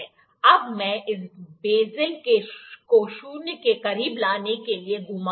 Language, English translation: Hindi, Now, I will rotate this bezel to bring it close to zero